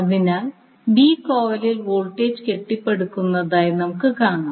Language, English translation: Malayalam, So, you will see now the voltage is started building up in B coil